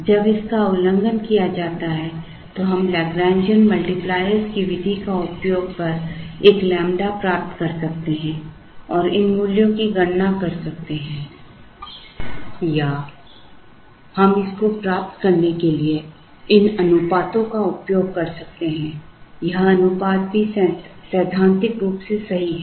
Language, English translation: Hindi, When it is violated we could use the method of Lagrangian multipliers get a lambda and compute these values or we could use these ratios to get it ratios are also theoretically correct